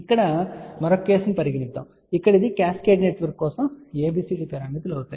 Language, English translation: Telugu, Now, let us just take a another case now here it is ABCD parameters for cascaded network